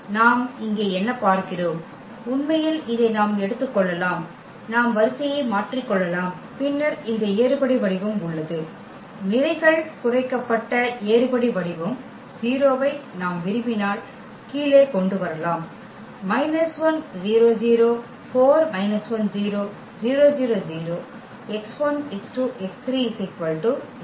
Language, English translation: Tamil, So, what do we see here, we can actually just take this we can interchange the row and then we have this echelon form; row reduced echelon form the 0 we can bring to the bottom if we like